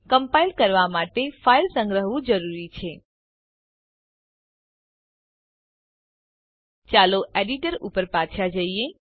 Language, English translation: Gujarati, It is necessary to save the file before compiling Let us go back to the Terminal